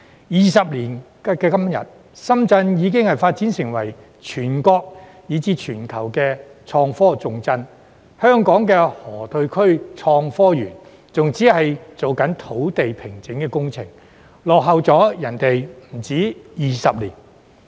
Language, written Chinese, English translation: Cantonese, 二十年後的今天，深圳已發展成為全國以至全球的創科重鎮，香港的河套區創科園仍只是在進行土地平整工程，落後他人不止20年。, Now 20 years down the line Shenzhen has developed into a national and global IT powerhouse but the Hong Kong - Shenzhen Innovation and Technology Park in the Loop is still only in the stage of site formation lagging behind others by more than 20 years